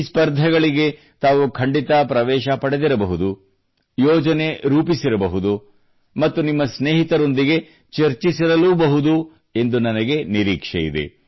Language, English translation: Kannada, I hope that you certainly must have sent in your entries too for these competitions…you must have made plans as well…you must have discussed it among friends too